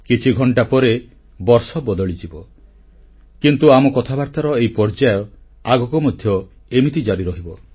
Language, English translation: Odia, A few hours later, the year will change, but this sequence of our conversation will go on, just the way it is